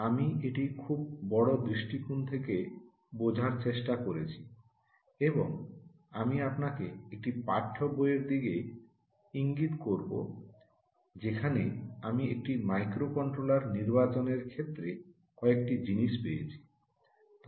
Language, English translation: Bengali, i have been trying to understand this in a very big perspective and i will point you to a text book where i found a few things with respect to choice of a microcontroller